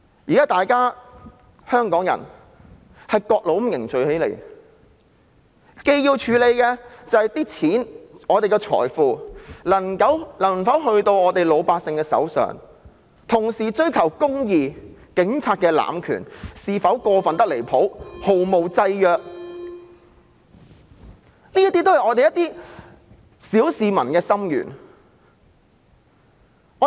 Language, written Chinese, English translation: Cantonese, 現時各路香港人正凝聚起來，要處理的不單是我們的財富能否交到老百姓手上，同時也要追求公義，調查警察濫權是否過分得離譜且毫無制約，這些都是我們小市民的心願。, Hongkongers of all walks are now joining in unison . We not only have to sort out the issue of whether our wealth can be handed over to the ordinary people at the same time we must also pursue justice and investigate whether the Police has abused its power way over board without any constraints . These are the wishes of the ordinary people